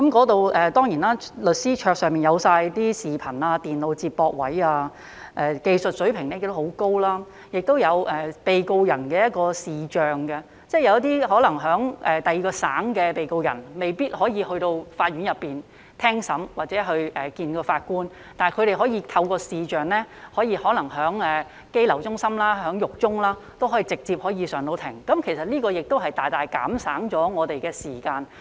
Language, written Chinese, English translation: Cantonese, 當地律師的桌上齊備視頻及電腦接駁設備，技術水平亦很高，亦有被告人的視像會議，即有一些可能在其他省的被告人未必可以前往法院聽審或面對法官應訊，但他們可以透過視像會議，可能在羈留中心或獄中也可以直接上庭，這其實亦能大大減省我們的時間。, Video conferencing with the defenders is also available . That is defenders in other states or territories may not need to go to the court for hearings or to face the judge yet they can be put on trial directly through the video - conferencing system while being kept in detention centres or prison facilities . Actually this practice can help us save a lot of time